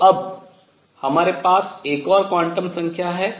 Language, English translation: Hindi, So, one for each quantum number